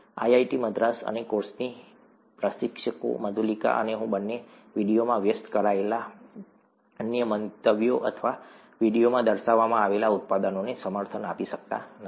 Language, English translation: Gujarati, IIT Madras and the instructors of this course, both Madhulika and I, may not endorse the other views that are expressed in the video or the products that are featured in the videos